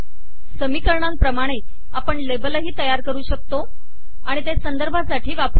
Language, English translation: Marathi, As in equations, we can also create labels and use them for referencing